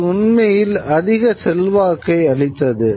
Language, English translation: Tamil, And this actually brings a lot of power